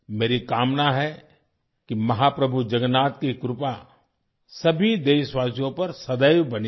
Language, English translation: Hindi, It’s my solemn wish that the blessings of Mahaprabhu Jagannath always remain on all the countrymen